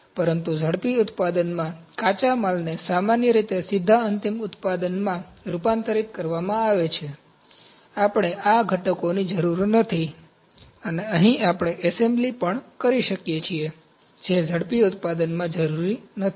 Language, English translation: Gujarati, But in rapid manufacturing the raw material is directly converted into final product in general, we do not need this components and here we can also have assembly which is not required in rapid manufacturing